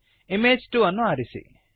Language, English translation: Kannada, Select Image 2